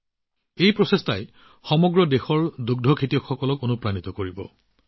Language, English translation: Assamese, This effort of his is going to inspire dairy farmers across the country